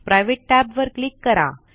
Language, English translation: Marathi, Click the Private tab